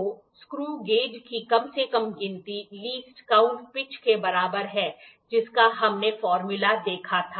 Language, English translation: Hindi, So, the least count LC of the screw gauge is equal to pitch by L we saw the formula